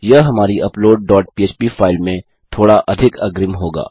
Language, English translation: Hindi, This will be slightly more advanced in our upload dot php file